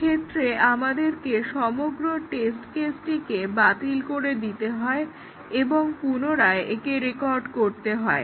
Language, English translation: Bengali, In this case, we have to discard the entire test case and rerecord it